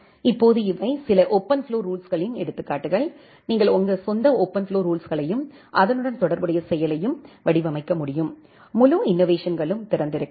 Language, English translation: Tamil, Now these are the examples of some of the OpenFlow rules, you can design your own OpenFlow rules and the corresponding action, the entire innovation is open